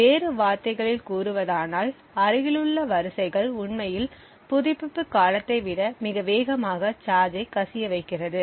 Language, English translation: Tamil, In other words the adjacent rows would actually discharge much more faster than the refresh period